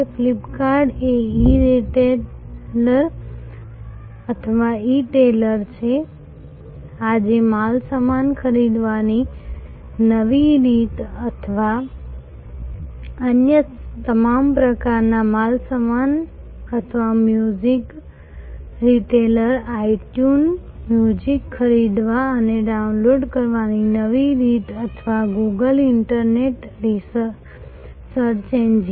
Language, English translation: Gujarati, Flip kart is an E retailer or E tailer as they called, new way to buy goods or different other kinds of all kinds of goods today or itune a music retailer, new way of buying and downloading music or Google, the internet search engine